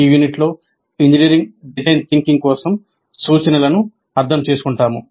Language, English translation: Telugu, And in this unit, we'll understand instruction for engineering, design thinking